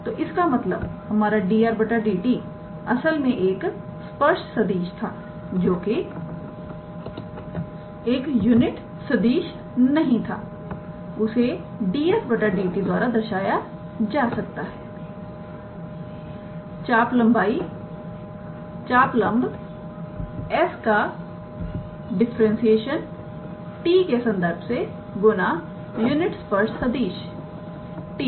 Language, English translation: Hindi, So, that means, our dr dt the original how to say a tangent vector which was not a unit vector can be given by ds dt differentiation of this arc length s with respect to t times the unit tangent vector